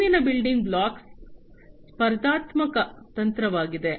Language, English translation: Kannada, The next building block is the competitive strategy